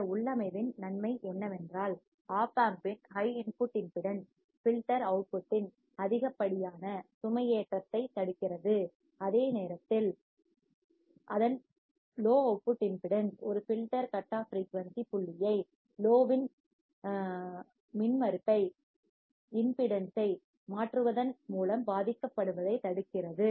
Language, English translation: Tamil, The advantage of this configuration is that Op Amp's high input impedance prevents excessive loading of the filter output while its low output impedance prevents a filter cut off frequency point from being affected by changing the impedance of the load